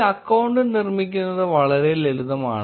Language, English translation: Malayalam, Creating an account is pretty straightforward